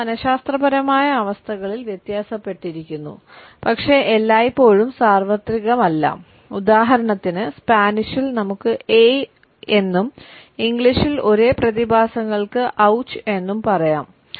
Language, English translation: Malayalam, They differentiate amongst psychological states in but are not always universal, for example in Spanish we can say ay and in English we can say ouch for the same phenomena